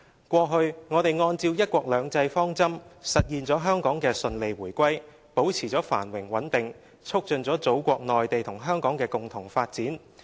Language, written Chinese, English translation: Cantonese, 過去，我們按照'一國兩制'方針，實現了香港的順利回歸，保持了繁榮穩定，促進了祖國內地與香港的共同發展。, In the past years by adhering to the principle of one country two systems we have realised Hong Kongs smooth return to the Motherland maintained the prosperity and stability of Hong Kong and promoted joint development of the Mainland and Hong Kong